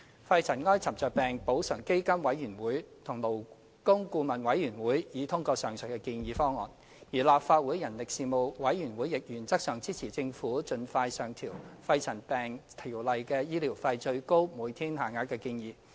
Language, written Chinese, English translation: Cantonese, 肺塵埃沉着病補償基金委員會及勞工顧問委員會已通過上述的建議方案，而立法會人力事務委員會亦原則上支持政府盡快上調《條例》的醫療費最高每天限額的建議。, The Pneumoconiosis Compensation Fund Board and the Labour Advisory Board endorsed the above proposal . Moreover the Legislative Council Panel on Manpower supported in principle the Governments proposal to increase the maximum daily rates of medical expenses under PMCO as soon as practicable